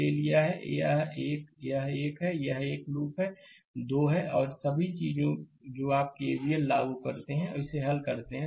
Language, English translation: Hindi, We have taken it is one this is one, this is one loop, this is 2 and all this things you please apply K V L and solve it